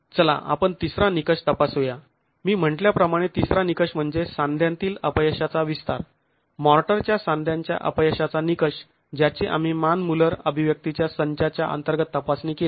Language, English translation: Marathi, The third criterion, as I said, is an extension of the joint failure, motor joint failure criterion that we examined under the Manmuller set of expressions